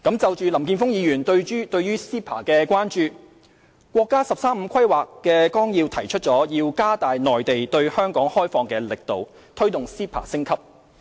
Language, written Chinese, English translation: Cantonese, 就林健鋒議員對 CEPA 的關注，國家"十三五"規劃綱要提出要加大內地對香港開放的力度，推動 CEPA 升級。, Regarding Mr Jeffrey LAMs concerns about the Mainland and Hong Kong Closer Economic Partnership Arrangement CEPA the National 13th Five - Year Plan proposed to step up efforts to further open up the Mainland market to Hong Kong and promote the upgrading of CEPA